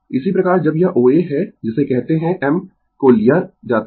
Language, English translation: Hindi, Similarly, when this your O A is the your what you call I m we have taken